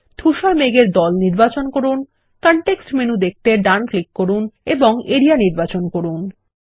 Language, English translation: Bengali, Select the gray cloud group and right click to view the context menu and select Area